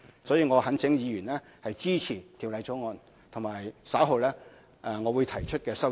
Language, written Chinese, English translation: Cantonese, 所以，我懇請議員支持《條例草案》及稍後我會提出的修正案。, I thus earnestly urge Members to support the Bill and the amendments I will later propose